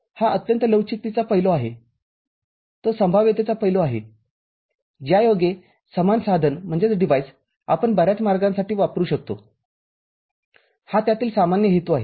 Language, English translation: Marathi, It is very, very important the flexibility aspect, that the probability aspect, the same device we can use for many different ways, the general purpose aspect of it